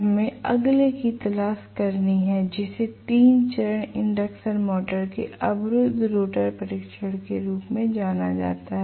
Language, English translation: Hindi, We have to look for the next one which is known as blocked rotor test of 3 phase induction motor